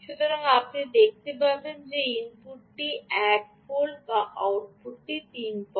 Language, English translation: Bengali, so you can see that the input is ah, one volt and the output is three point three